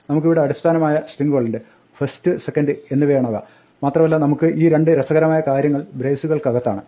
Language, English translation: Malayalam, We have a base string here, which is first, second and we have these two funny things in braces